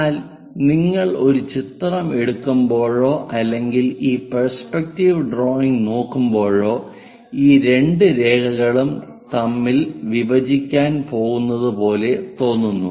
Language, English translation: Malayalam, But when you are taking a picture or perhaps looking through this perspective drawing, these two lines looks like they are going to intersect